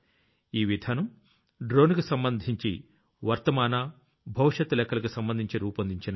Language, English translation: Telugu, This policy has been formulated according to the present and future prospects related to drones